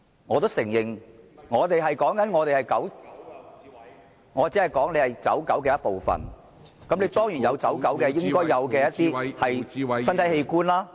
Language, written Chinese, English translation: Cantonese, 我也承認，我說他作為"走狗"的一部分，他當然有"走狗"應有的一些身體器官。, I do admit saying that he is one of the running dogs in the group so of course he should have the body parts of a running dog